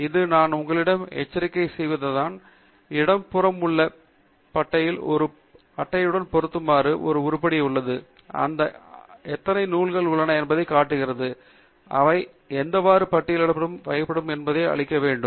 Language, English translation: Tamil, This is what I was alerting it to you on the left hand side bar there is an item called unfiled with a bracket; it just shows you how many bibliographic items are there which are not categorized as any list and those must be emptied